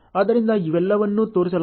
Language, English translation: Kannada, So, all these are shown